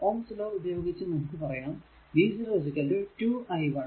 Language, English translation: Malayalam, So, ohms law will say that v 0 is equal to 4 into i 0